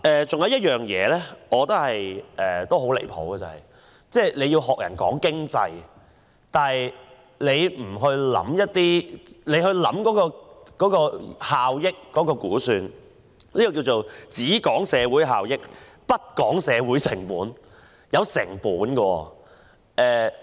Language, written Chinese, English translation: Cantonese, 此外，我覺得很離譜的是，政府講經濟但不思考有關效益的估算，簡直是"只講社會效益，不講社會成本"。, There is another point which I find outrageous that is the Government is only concerned about the economy without paying any regard to estimates on benefits . It merely focuses on social benefits without considering social costs